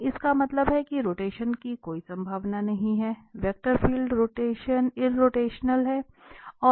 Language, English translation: Hindi, So, that means there is no sense of rotation, the vector field is irrotational